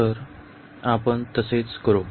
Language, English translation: Marathi, So, we will do the same